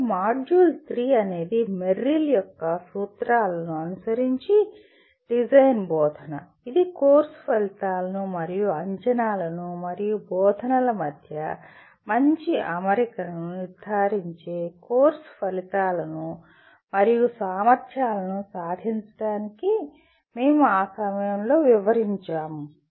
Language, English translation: Telugu, And module 3 is design instruction following Merrill’s principles which we will elaborate at that time for attaining the course outcomes and competencies ensuring good alignment between course outcomes, assessment and instruction